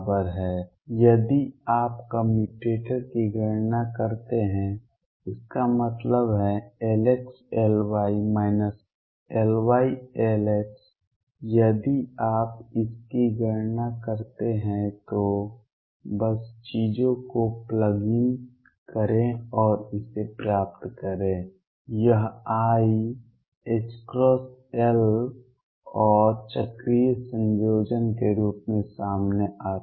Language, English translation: Hindi, If you calculate the commutator; that means, L x L y minus L y L x if you calculate this just plug in the things and get it this comes out to be i h cross L z and the cyclic combination